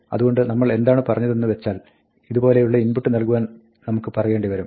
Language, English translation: Malayalam, So, what we said was, we might want to say something like, provide an input like this